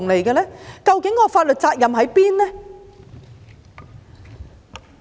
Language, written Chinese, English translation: Cantonese, 究竟法律責任在哪裏？, Where exactly is the legal responsibility?